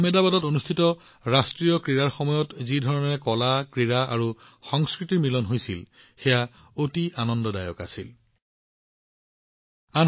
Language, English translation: Assamese, The way art, sports and culture came together during the National Games in Ahmedabad, it filled all with joy